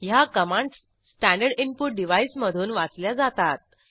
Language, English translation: Marathi, * These commands are read from the standard input device